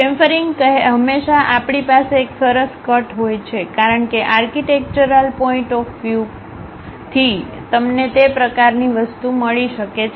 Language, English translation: Gujarati, Chamfering always be a nice cut we will be having, because of architectural point of view you might be going to have that kind of thing